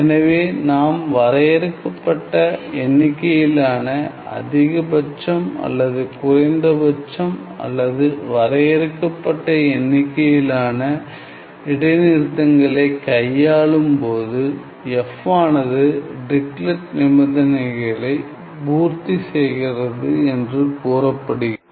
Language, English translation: Tamil, So, we are dealing with finite number of maxima or minima or finite number of discontinuities, then f is said to satisfy Dirichlet condition